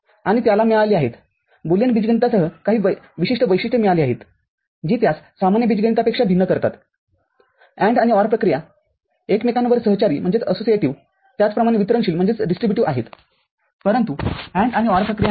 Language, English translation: Marathi, And it has got to Boolean algebra has got certain distinctive characteristics that differentiate it from ordinary algebra AND and OR operations are associative as well as distributive over each other ah, but NAND and NOR operations are not